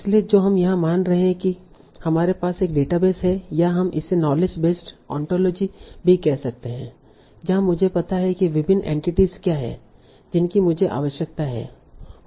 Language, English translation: Hindi, So what we are assuming here, we have a database or we can also call it knowledge base or ontology where I know what are different entities that I need